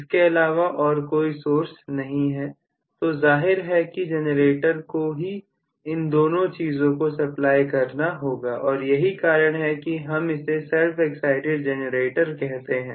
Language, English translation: Hindi, There is no other source, so obviously my generator has to supply both of them that is why I call it as a self excited generator